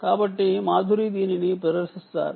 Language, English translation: Telugu, so madhuri will demonstrate this